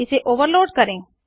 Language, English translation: Hindi, To overload method